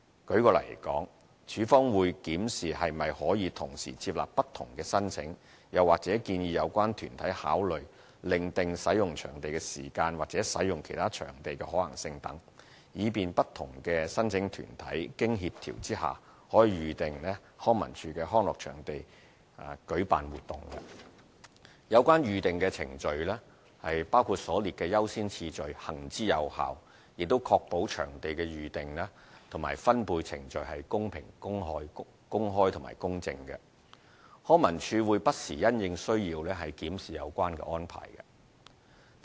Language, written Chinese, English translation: Cantonese, 舉例來說，署方會檢視是否可以同時接納不同的申請，又或建議有關團體考慮另訂使用場地時間或使用其他場地的可行性等，以便不同申請團體經協調下可預訂康文署的康樂場地舉辦活動。有關《預訂程序》行之有效，亦確保場地的預訂及分配程序公平、公開及公正。康文署會不時因應需要檢視有關安排。, For instance LCSD will examine whether applications from different organizations can be approved at the same time or whether the organizations concerned can be persuaded to consider the possibility of changing the booking period or using another venue instead so that different applicant organizations can reserve LCSDs leisure venues for their activities after coordination